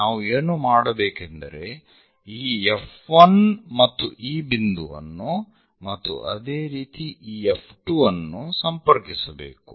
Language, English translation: Kannada, What we do is connect this F 1 and this point similarly construct connect this F 2